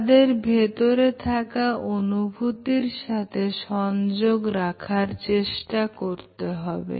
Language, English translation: Bengali, Try to connect with their innermost feelings